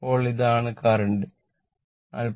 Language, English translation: Malayalam, Now, this is the current 43